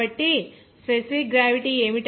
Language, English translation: Telugu, So, what is that specific gravity is 0